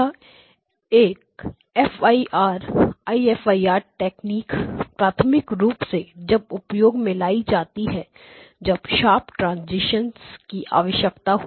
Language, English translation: Hindi, This is the IFIR technique is primarily used when you need filters with sharp transition